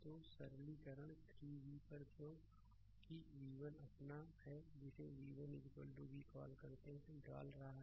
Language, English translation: Hindi, So, upon simplification 3 v, because v 1 is your what you call v 1 is equal to v we are putting it right